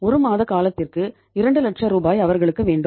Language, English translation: Tamil, They want 2 lakh rupees for a period of 1 month